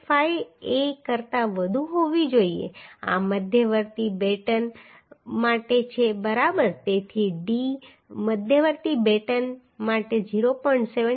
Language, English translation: Gujarati, 75a this is for intermediate batten intermediate batten right so d should be greater than 0